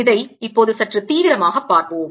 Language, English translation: Tamil, let us now see this little more rigorously